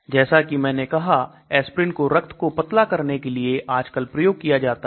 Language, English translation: Hindi, So as I said aspirin is nowadays being used for thinning of blood